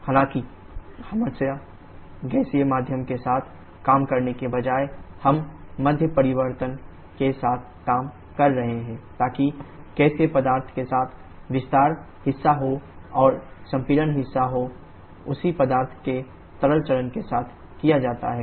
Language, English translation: Hindi, However instead of working always with gaseous medium we shall be working with the phase change in medium so that the expansion part is done with the gaseous substance and the compression part is done with the liquid phase of the same substance